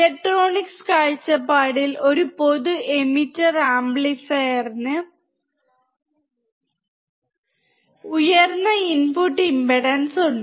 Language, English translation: Malayalam, From electronics point of view, a common emitter amplifier has a high input impedance